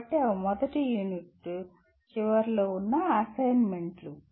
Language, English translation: Telugu, So those are the assignments at the end of the first unit